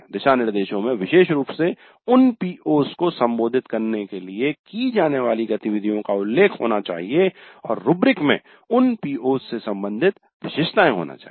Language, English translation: Hindi, The guidelines must specifically mention the activities to be carried out in order to address those POs and the rubrics must have attributes related to those POs